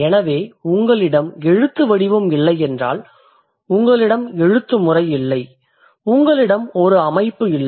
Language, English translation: Tamil, So, if you don't have the scripts, you don't have a writing system, you don't have a pattern